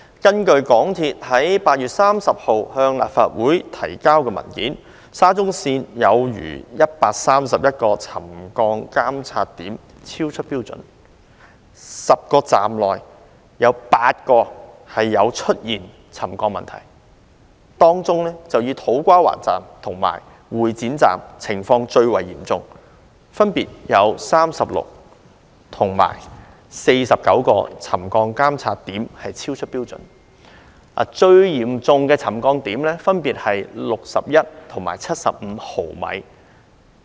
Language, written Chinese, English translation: Cantonese, 根據香港鐵路有限公司在8月30日向立法會提交的文件，沙中線全線有逾131個沉降監測點超出標準，在10個車站當中有8個出現沉降問題，當中以土瓜灣站和會展站的情況最為嚴重，分別有36個及49個沉降監測點超出標準，最嚴重的沉降點分別是61毫米和75毫米。, According to the paper submitted by the MTR Corporation Limited MTRCL to the Legislative Council on 30 August over 131 settlement monitoring points along SCL have recorded settlement readings exceeding their trigger levels and among the 10 stations 8 of them have problems related to settlement . Among them the situation at the To Kwa Wan Station and the Exhibition Centre Station is the most serious and 36 and 49 settlement monitoring points there respectively have recorded readings that exceed their trigger levels and the most serious settlement readings were 61 mm and 75 mm respectively